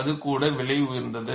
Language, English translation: Tamil, That is too expensive